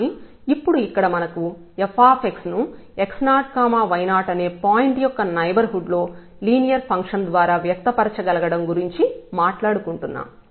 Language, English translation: Telugu, So, but here now we are talking about that if we can express this f x by a linear function in the neighborhood of x naught y naught point